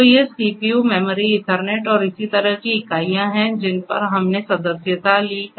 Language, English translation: Hindi, So, these are the units of CPU, memory, Ethernet, and so on to which we are subscribed